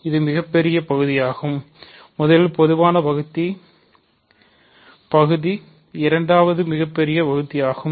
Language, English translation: Tamil, So, this is the greatest part, first is the common divisor part second is the greatest part